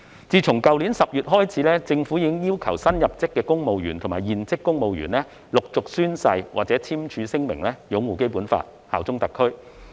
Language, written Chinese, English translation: Cantonese, 自去年10月開始，政府已經要求新入職公務員和現職公務員陸續宣誓或簽署聲明擁護《基本法》、效忠特區。, From last October onwards the Government has requested its new appointees and serving civil servants to take an oath or sign a declaration in batch that they will uphold the Basic Law and bear allegiance to HKSAR